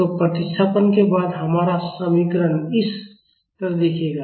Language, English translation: Hindi, So, our equation will look like this after the substitution